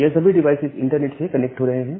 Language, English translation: Hindi, And all these devices are now getting connected over the internet